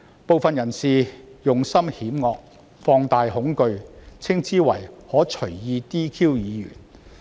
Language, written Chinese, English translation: Cantonese, 部分人士用心險惡，放大恐懼，稱之為可隨意 "DQ" 議員。, Some people with sinister intentions have magnified the fear saying that Members can be arbitrarily disqualified